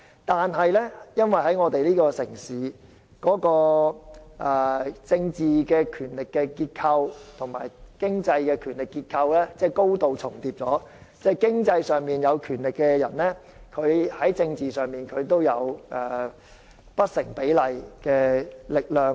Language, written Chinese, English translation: Cantonese, 但是，在我們這個城市，政治權力結構與經濟權力結構高度重疊，即在經濟上有權力的人，在政治上也擁有不成比例的力量。, However in our city the political power structure and the economic power structure highly overlap meaning that those with economic power also enjoy disproportionate political power